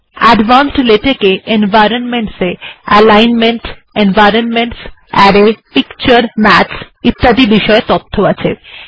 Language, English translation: Bengali, Advanced latex, environments, you have things like alignments, environments, array, pictures, maths, so on and so forth